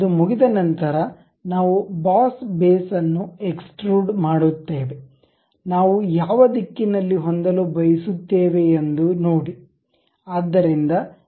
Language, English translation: Kannada, Once it is done, we go with extrude boss base, see in which direction we would like to have